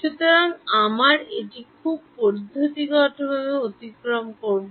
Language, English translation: Bengali, So, we will go through this very systematically